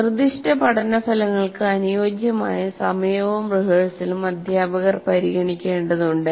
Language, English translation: Malayalam, So the teachers need to consider the time available as well as the type of rehearsal appropriate for specific learning outcome